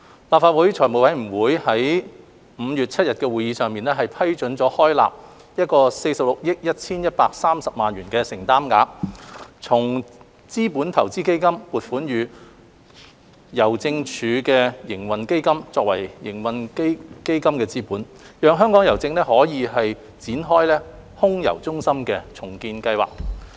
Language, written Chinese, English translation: Cantonese, 立法會財務委員會於5月7日的會議上批准開立46億 1,130 萬元的承擔額，從資本投資基金撥款予郵政署營運基金作為營運基金資本，讓香港郵政可以展開空郵中心的重建計劃。, The Finance Committee FC of the Legislative Council approved at its meeting on 7 May 2021 a commitment of 4,611.3 million as trading fund capital from the Capital Investment Fund CIF to the Post Office Trading Fund POTF so that Hongkong Post may commence the redevelopment project of the Air Mail Centre AMC